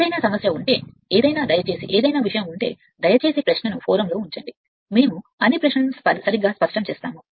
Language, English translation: Telugu, But if you have that any problem anything you please put any sort of thing please put the question in the forum we will clarify all your all your queries right